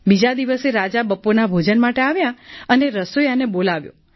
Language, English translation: Gujarati, Then next day the king came for lunch and called for the cook